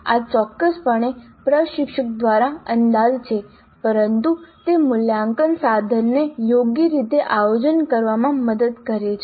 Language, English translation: Gujarati, This is definitely an estimate by the instructor but it does help in planning the assessment instrument properly